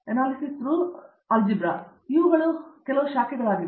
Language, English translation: Kannada, So, these are some of the branches